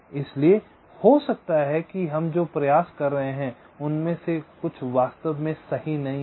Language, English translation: Hindi, so maybe some of the efforts that we are putting in are not actually required, right